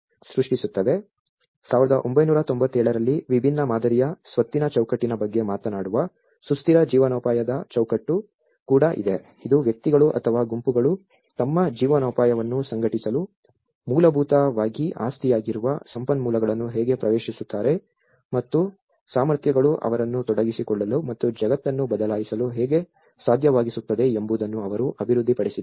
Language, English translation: Kannada, There is also sustainable livelihoods framework which talks about the asset framework where it is a different model in 1997, which they have developed how the individuals or a groups access the resources which are basically an assets to organize their livelihoods and how the capacities make them able to act engage and change the world